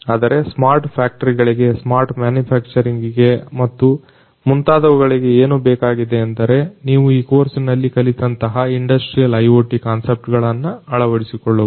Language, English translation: Kannada, And so these are some of the essential components for making the company smart, but for smart factories and so on for smart manufacturing what is required is the adoption of industrial IoT concepts that you have learned in the course